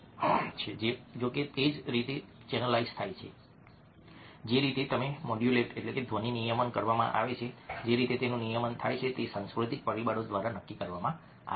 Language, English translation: Gujarati, however, the way it is channelized, the way it is modulated, the way it is regulated, is something which is determined by cultural factors